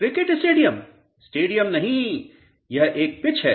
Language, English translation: Hindi, Cricket stadium, not stadium it is a pitch